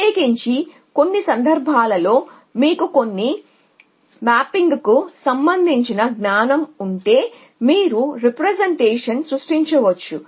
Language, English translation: Telugu, Especially if in some situation you have knowledge related to some mapping that you can create with representation